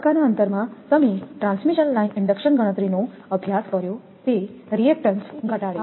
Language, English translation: Gujarati, In phase spacing reduces the reactance you have studied transmission line inductance calculations